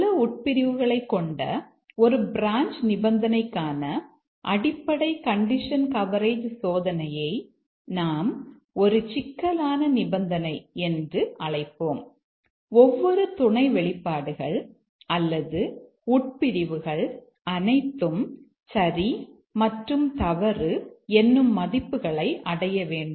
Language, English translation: Tamil, In the basic condition coverage testing, for a branch condition having multiple clutches which will call as the complex condition, each of the sub expressions or the clodges will require them to achieve true and false values